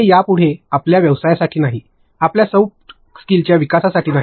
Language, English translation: Marathi, It is not for your business anymore, it is not for your the soft skills development